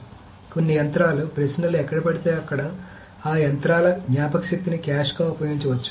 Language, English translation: Telugu, So certain machines, so wherever the queries land up in those memory of those machines can be used as a cache